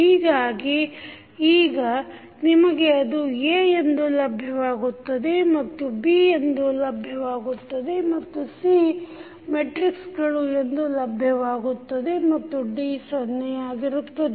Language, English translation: Kannada, So, now this you will get as A, this you will get as B and this is what you have as C matrices, D is of course 0